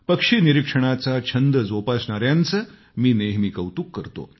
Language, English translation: Marathi, I have always been an ardent admirer of people who are fond of bird watching